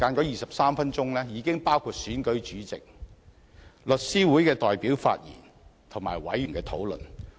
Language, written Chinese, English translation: Cantonese, 23分鐘的會議時間已包含選舉主席、香港律師會代表發言，以及委員討論。, In these 23 minutes of meeting time there were the election of Chairman the presentation of views by The Law Society of Hong Kong and the discussion by members